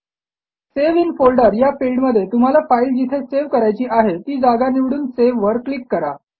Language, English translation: Marathi, In the Save in folder field, choose the location where you want to save the file and click on Save